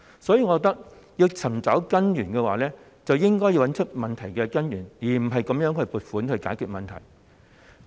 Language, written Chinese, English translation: Cantonese, 所以，我認為若要解決問題，便應該找出問題根源，而不是用撥款來解決。, Therefore I think that if the problems are to be solved we should find out their root cause instead of using the funds on account as the solution